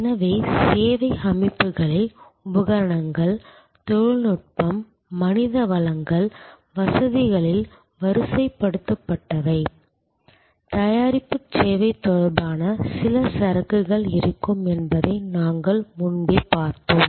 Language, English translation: Tamil, So, we have already seen before that service systems will have equipment, technology, human resources, deployed in facilities, there will be some inventories related to product service